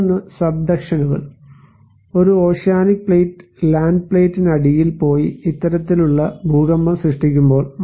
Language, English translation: Malayalam, Another was is the subductions; there is when one oceanic plate goes under the land plate and created the this kind of earthquake